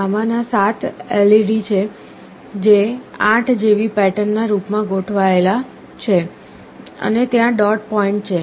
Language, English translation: Gujarati, There are 7 of these LEDs, which are arranged in the form of a 8 like pattern and there is a dot point